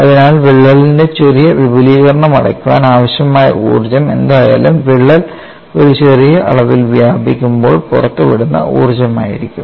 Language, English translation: Malayalam, So, whatever the energy required to close that small extension of the crack would be the energy released when the crack extends by a small amount